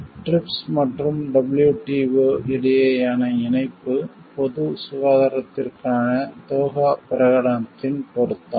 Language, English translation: Tamil, Link between TRIPS and WTO, relevance of Doha declaration for public health